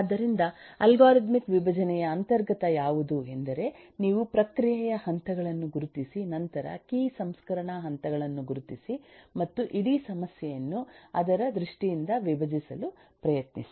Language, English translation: Kannada, so what is inherent of algorithmic decomposition is you identify processing, then identify the key processing steps and try to decompose the whole problem in terms of it